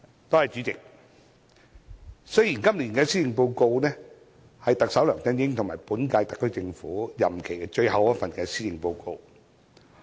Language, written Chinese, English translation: Cantonese, 代理主席，今年的施政報告是特首梁振英和本屆特區政府任期的最後一份。, Deputy President this Policy Address is the last Policy Address of Chief Executive LEUNG Chun - ying in the term of office of this SAR Government